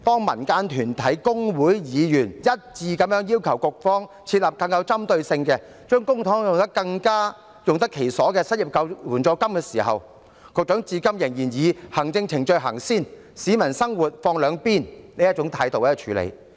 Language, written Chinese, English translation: Cantonese, 民間團體、工會和議員一致要求局方設立更具針對性、將公帑更用得其所的失業援助金，但局長至今仍然以行政程序先行、市民生活放兩旁的態度來處理。, Community groups labour unions and Members have unanimously requested the Bureau to set up a more focused unemployment assistance fund which can use the public coffers more properly but to date the Secretary still works with the attitude of giving priority to administrative procedures and leaving peoples livelihood aside